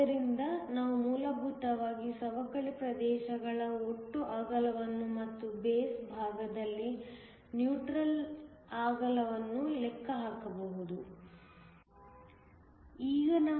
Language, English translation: Kannada, So, we can essentially calculate the total the width of the depletion regions and also the neutral width on the base side